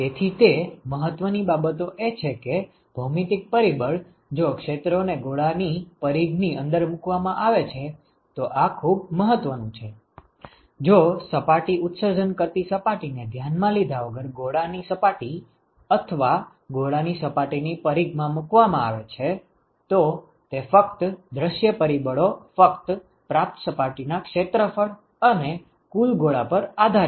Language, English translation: Gujarati, So, all that matters is that the geometric factor, if the areas are placed inside the periphery of the sphere, this is very important; if the surfaces are placed in the periphery of the of the sphere or the surface of the sphere irrespective of where the emitting surface is located, it only, the view factor only depends upon the receiving surface area and the total sphere ok